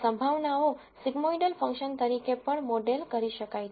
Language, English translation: Gujarati, The probabilities are also modeled as a sigmoidal function